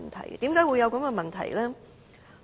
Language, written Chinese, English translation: Cantonese, 為甚麼會有這個問題呢？, Why has such a problem arisen?